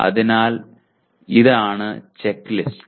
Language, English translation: Malayalam, So this is the checklist